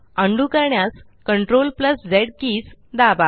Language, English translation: Marathi, To undo the action, press CTRL+Z keys